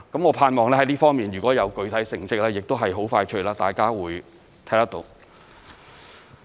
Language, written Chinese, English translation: Cantonese, 我盼望在這方面，如果有具體成績，很快大家會看得到。, I hope that Members will soon be able to see the concrete results we obtain in this respect